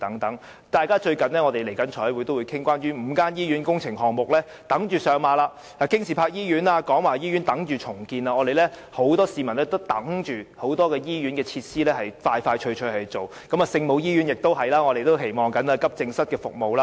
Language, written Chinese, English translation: Cantonese, 近日財務委員會亦即將討論關於5間醫院工程項目的撥款問題，包括京士柏醫院及廣華醫院亦正等待重建，很多市民也等着多間醫院盡快做好設施，我們亦期望聖母醫院可以加開急症室服務。, Very soon the Finance Committee will commence discussions on the funding for the works projects of five hospitals . These include the redevelopment of Kings Park Hospital and the Kwong Wah Hospital and many people are waiting for the expeditious improvements to a number of hospitals . We also hope that Our Lady of Maryknoll Hospital can be equipped with an accident and emergency department